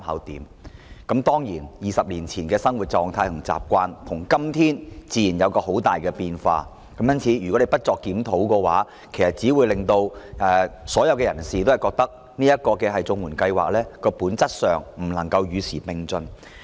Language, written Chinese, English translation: Cantonese, 當然 ，20 年前的生活狀態和習慣與今天有很大的分別，因此，若政府不盡快就綜援進行檢討，其實只會令人認為綜援本質上不能與時並進。, Of course the living conditions and habits 20 years ago were hugely different from those of today . If the Government does not conduct a review of CSSA expeditiously it will only give people the impression that CSSA essentially fails to keep abreast of the times